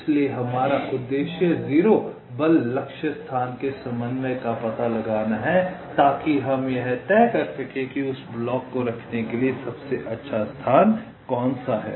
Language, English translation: Hindi, so our objective is to find out the coordinate of the zero force target location so that we can decide which is the best location to place that block